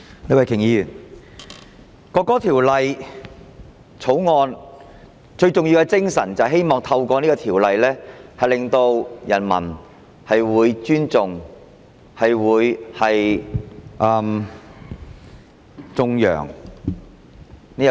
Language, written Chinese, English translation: Cantonese, 李慧琼議員，《國歌條例草案》最重要的精神，是希望透過法例令人民尊重和頌揚國歌。, Ms Starry LEE the prime spirit of the National Anthem Bill the Bill is to inspire peoples respect and praises for the national anthem through legislation